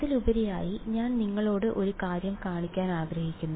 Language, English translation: Malayalam, And moreover I just want to show you one thing